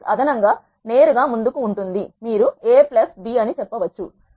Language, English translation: Telugu, Matrix addition is straight forward you can say A plus B you will get the output